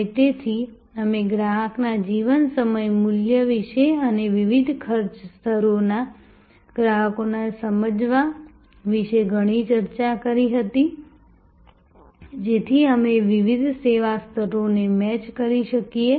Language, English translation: Gujarati, And therefore, we had discussed a lot about customer’s life time value and understanding customers of different cost levels, so that we can match different service levels